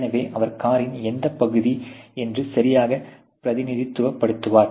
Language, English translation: Tamil, So, he will represent exactly what area of the car